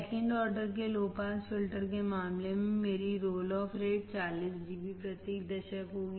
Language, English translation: Hindi, In case of second order low pass filter, my roll off rate will be 40 dB per decade